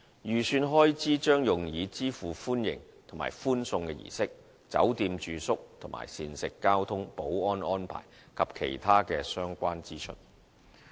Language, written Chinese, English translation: Cantonese, 預算開支將用以支付歡迎、歡送的儀式、酒店住宿及膳食、交通、保安安排，以及其他相關支出。, The estimated expenditure will be used to cover the expenses on welcome and farewell ceremonies hotel accommodation and meals transportation security arrangements and other related expenses